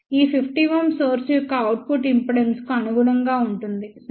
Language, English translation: Telugu, This 50 ohm corresponds to the output impedance of the source, ok